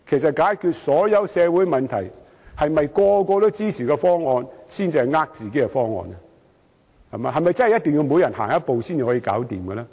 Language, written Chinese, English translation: Cantonese, 在解決任何社會問題時，所有人都支持的方案，會否才是欺騙自己的方案？, When it comes to resolving any social issue will a proposal supported by everyone turn out to be a proposal that deceives themselves?